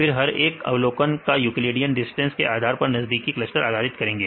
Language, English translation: Hindi, Then assign each observation to the nearest cluster by calculating the Euclidean distance